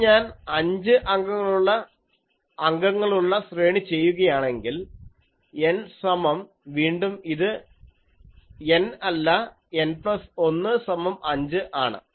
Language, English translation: Malayalam, Then if I do for a five element array, N is equal to again it is not N, N plus 1 is equal to 5